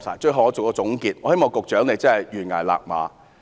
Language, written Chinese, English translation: Cantonese, 最後，作為總結，我希望李家超局長懸崖勒馬。, Finally as a conclusion I wish Secretary John LEE will stop before it is too late